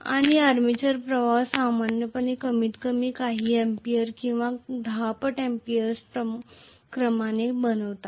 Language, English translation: Marathi, And armature currents will be normally of the order of at least a few amperes or few tens of amperes